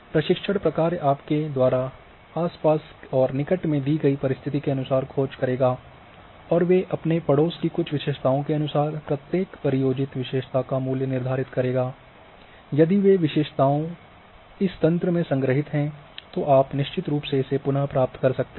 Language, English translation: Hindi, So, search functions will do the searching as per your given conditions in the surroundings in the neighbourhood and they will determine the value of each target feature according to some characteristics of its neighbourhood and these characteristics if they are stored in the system then you can definitely retrieve